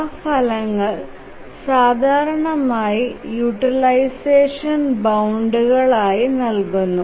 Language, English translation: Malayalam, Those results are typically given as utilization bounds